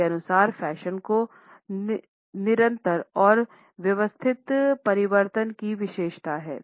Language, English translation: Hindi, According to them fashion has to be characterized by continual and systematic change